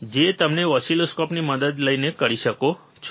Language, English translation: Gujarati, That you can do by taking help of the oscilloscope